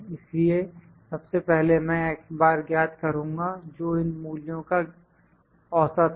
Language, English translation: Hindi, So, first of all I will try to calculate the x bar, the average of these values